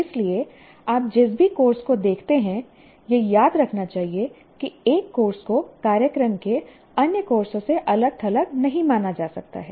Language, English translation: Hindi, So any course that you look at should be, one should remember that course cannot be considered or seen in isolation from the other courses of the program